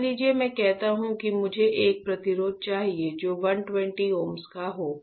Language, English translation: Hindi, Suppose I say that I want a resistor which is of 120 ohms ok